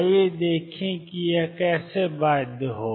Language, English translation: Hindi, Let us see how it is that come of bound